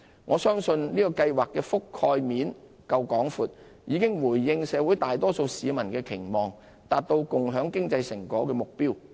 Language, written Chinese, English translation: Cantonese, 我相信這計劃涵蓋面足夠廣闊，已回應社會大多數市民的期望，達到共享經濟成果的目標。, I believe the coverage of the Scheme is wide enough to meet the expectations of most members of the public and achieve the objective of sharing the fruits of economic success